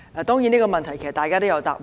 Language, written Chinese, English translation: Cantonese, 當然，這個問題其實大家都有答案。, Of course Members actually all have the answer to this question